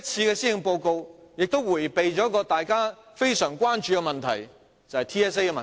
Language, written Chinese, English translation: Cantonese, 這份施政報告也迴避了一個大家非常關注的問題，就是 TSA 的問題。, This Policy Address has evaded another great concern of ours which is Territory - wide System Assessment TSA